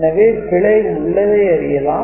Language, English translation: Tamil, So, error is detected